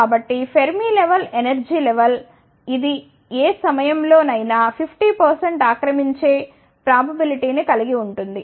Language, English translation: Telugu, So, Fermi level is an energy level, which would have 50 percent of probability of occupying at any instant of time